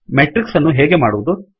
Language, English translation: Kannada, How do we create a matrix